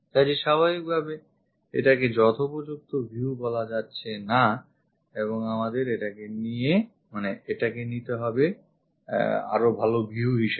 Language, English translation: Bengali, So, naturally this is not appropriate view and what we have to pick is this one as the good view